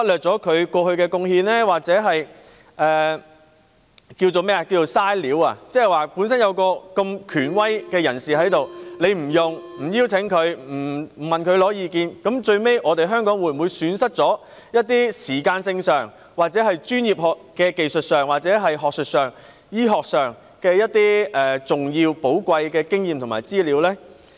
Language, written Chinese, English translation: Cantonese, 即是有這麼一位權威人士在此，政府卻沒有邀請他加入督導委員會或向他索取意見，那最終，香港會否損失了時間、專業技術、學術、醫學等方面的重要和寶貴經驗和資料呢？, I mean despite the presence of an authority here the Government has failed to invite him to sit on the steering committee or to seek his advice . In the end will Hong Kong waste not only time but also important and valuable experience and information in various areas such as professional expertise academic research and medical science?